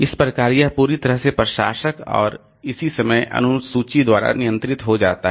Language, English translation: Hindi, So, that way it becomes totally controlled by the administrator and the corresponding time schedule